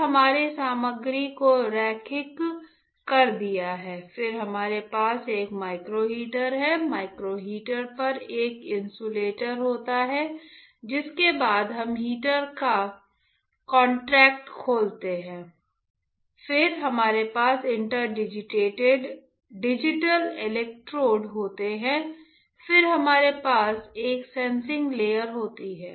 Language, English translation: Hindi, Then we have linearized the material; we have linearize the material alright on that we have a micro heater; on micro heater there is a insulator after which we open the contact of the heater then we have inter digital electrodes then we have a sensing layer